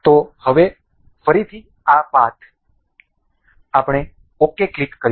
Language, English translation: Gujarati, So, now, again this path, we will click ok